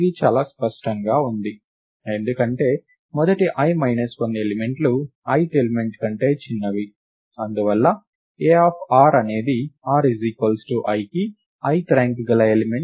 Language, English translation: Telugu, This is very clear, because the first i minus 1 elements are smaller than the ith element, and therefore a of r is the ith ranked element for r is equal to i